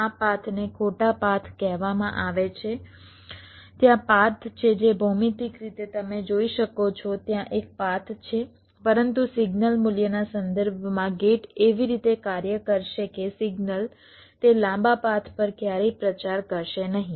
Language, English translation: Gujarati, there are path which geometrically you can see there is a path, but with respect to the signal value the gates will work in such a way that signal will never propagate along those long paths